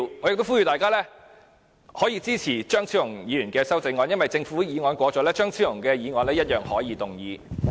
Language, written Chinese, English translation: Cantonese, 我呼籲大家支持張超雄議員提出的修正案，因為政府的修正案通過後，張超雄議員一樣可以動議其修正案。, I urge Members to support the amendment proposed by Dr Fernando CHEUNG because he can move the amendment all the same after the passage of the Governments amendments